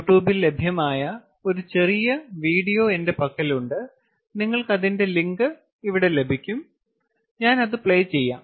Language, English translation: Malayalam, i have a small video which is available in the you tube, and you will see that you will find this link also here